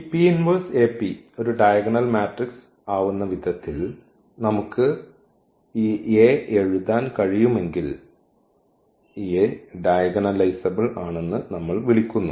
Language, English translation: Malayalam, So, in other words if A is similar to a diagonal matrix, because if the point is here A is called diagonalizable